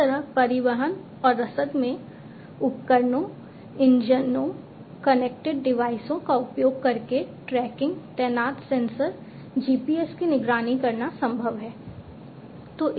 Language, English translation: Hindi, Transportation and logistics likewise you know it is possible to easily monitor the equipments, engines, tracking using the connected devices, deployed sensors, gps etc